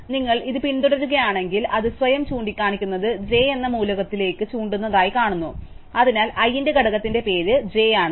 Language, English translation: Malayalam, So, if you follow this we find that it is pointing to an element j which points to itself, so it is name of the component of i is j